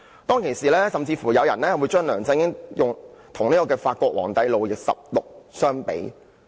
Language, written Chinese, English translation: Cantonese, 當時，有人甚至將梁振英與法國皇帝路易十六相比。, At that time some people even compared LEUNG Chun - ying with King Louis XVI of France